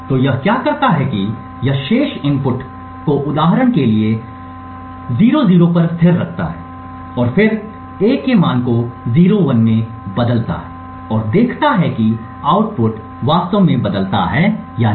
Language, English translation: Hindi, So, what it does is that it keeps the remaining inputs constant for example 00 over here and then changes the value of A to 01 and sees if the output actually changes